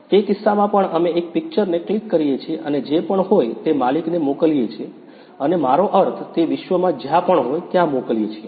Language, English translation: Gujarati, In that case also, we click an image and send to the owner whoever and I mean wherever he is in the world